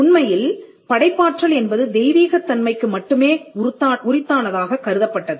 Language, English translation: Tamil, In fact, creativity was attributed only to divine origin